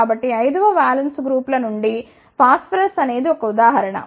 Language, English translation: Telugu, So, phosphorus is the example from valence 5 groups